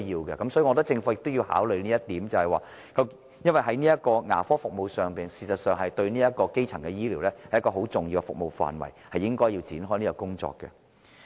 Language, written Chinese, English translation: Cantonese, 所以，我認為政府應考慮這一點，因為事實上，牙科服務是基層醫療一個很重要的服務範圍，政府應該展開這方面的工作。, Hence I think that the Government should consider this because actually dental services are a very important domain of primary healthcare services . The Government should launch the relevant work in this area